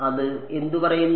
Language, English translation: Malayalam, What does it say